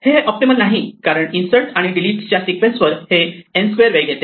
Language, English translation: Marathi, This is not optimal because over a sequence of n inserts and deletes this takes time order n square